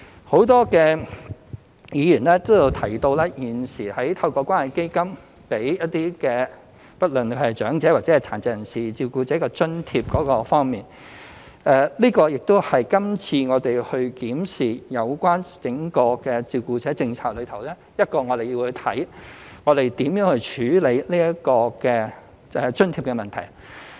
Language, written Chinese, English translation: Cantonese, 很多議員皆提到，現時透過關愛基金為一些不論是長者或殘疾人士照顧者提供津貼，這類津貼亦是今次我們檢視整個照顧者政策其中一個要看看如何處理的問題。, The allowance for carers of elderly persons and persons with disabilities now granted through the Community Care Fund CCF as mentioned by various Members is one of the issues to be addressed in our current review of the overall carer policy